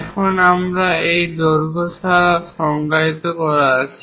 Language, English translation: Bengali, Now, we have this length also has to be defined